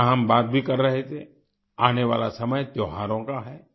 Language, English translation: Hindi, Like we were discussing, the time to come is of festivals